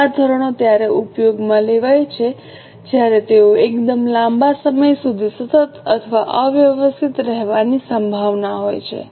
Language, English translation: Gujarati, These standards are used when they are likely to remain constant or unaltered for a fairly long time